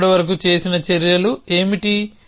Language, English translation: Telugu, So, what are the actions we have so far